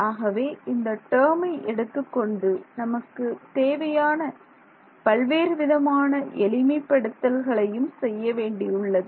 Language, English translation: Tamil, So, I am going to call this term over here as another there are many many simplifications that we need to do